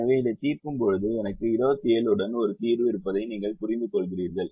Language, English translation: Tamil, and when i solve this you realise that i have a solution with twenty seven